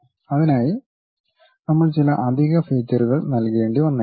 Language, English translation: Malayalam, We may have to provide certain additional features for that, ok